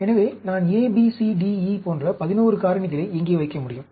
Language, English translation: Tamil, So, I can put 11 factors here, A, B, C, D, E, like that